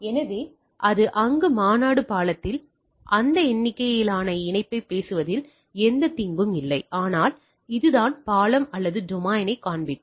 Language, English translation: Tamil, So, this is convention there is nothing harm in talking that number of connection in the bridge, but this is the way or showing domain the bridges